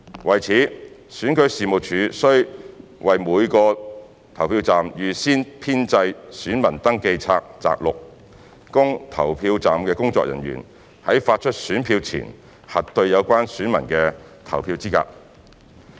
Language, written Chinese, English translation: Cantonese, 為此，選舉事務處須為每個投票站預先編製選民登記冊摘錄，供投票站的工作人員在發出選票前核對有關選民的投票資格。, To this end the Registration and Electoral Office must prepare an extract of the Register of Electors for each polling station for staff at the polling station to verify the electors eligibility to vote before issuance of ballot papers